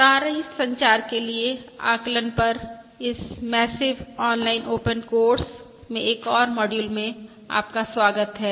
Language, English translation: Hindi, Welcome to another module in this massive open online course on estimation for wireless communication